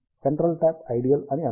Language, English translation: Telugu, Let us say that the center tap is ideal